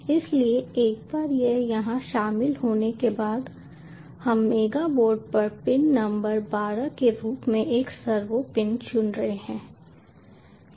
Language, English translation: Hindi, so once this has been included here we are choosing a servo pin as the pin number twelve on the at mega board